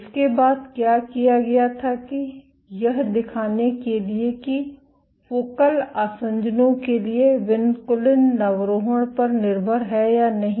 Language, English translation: Hindi, What did it next was that to demonstrate whether vinculin recruitment to focal adhesions is force dependent or not